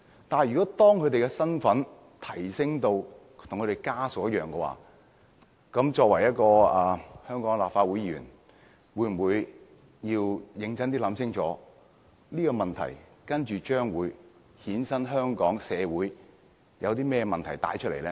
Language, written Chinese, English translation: Cantonese, 但是，當他們的身份提升至跟親屬一樣的話，作為一名香港立法會議員，是否應該認真想清楚，這個建議會否衍生甚麼社會問題？, However if their capacity is elevated to that of a relative should I as a Member of the Legislative Council seriously consider whether or not this proposal will give rise to any social problems?